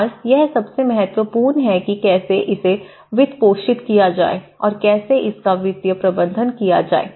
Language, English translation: Hindi, And this is one of the foremost part is how to finance it, the financing and the financial management of it right